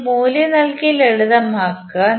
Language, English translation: Malayalam, You just put the value and simplify it